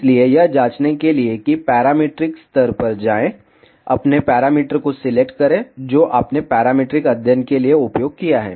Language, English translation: Hindi, So, to check that go to parametric levels, select your parameters, which you have used for parametric study